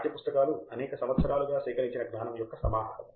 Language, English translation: Telugu, Text book is accumulated knowledge over several years